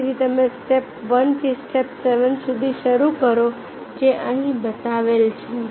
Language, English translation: Gujarati, again, you start from the step one to the step seven